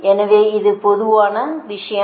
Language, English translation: Tamil, so this is that general thing